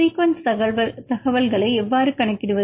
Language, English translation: Tamil, How to account the sequence information